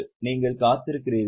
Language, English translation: Tamil, Are you waiting it